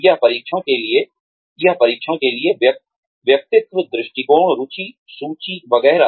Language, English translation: Hindi, For testing of, personality, attitudes, interest, inventories, etcetera